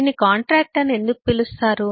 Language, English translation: Telugu, why is it called contractual